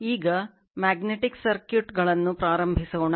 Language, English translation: Kannada, Now, we will start Magnetic Circuits right